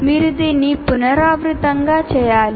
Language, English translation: Telugu, You have to iteratively do this